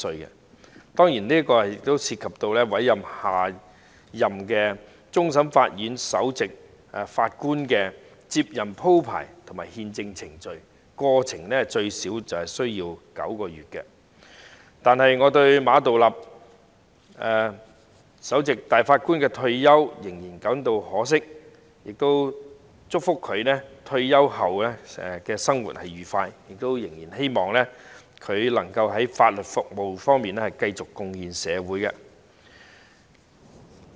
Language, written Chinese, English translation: Cantonese, 這當然涉及委任下任終審法院首席法官的接任鋪排及憲制程序，整個過程最少需時9個月，但我對於馬道立的退休仍是感到可惜，祝福他退休後的生活愉快，亦希望他能夠繼續在法律服務方面貢獻社會。, This would certainly affect the succession arrangement and the constitutional procedure for the appointment of the next Chief Justice of CFA which takes at least nine months . While I feel sorry for the retirement of Geoffrey MA I wish him a happy post - retirement life and hope that he will continue to make contribution to society in legal services